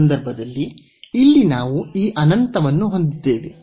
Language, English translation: Kannada, So, in this case here we have like this infinity